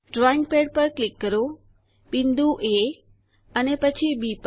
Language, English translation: Gujarati, Click on the drawing pad, point A and then on B